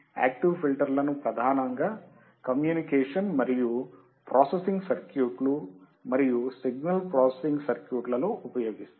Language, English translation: Telugu, Active filters are mainly used in communication and processing circuits and signal processing circuit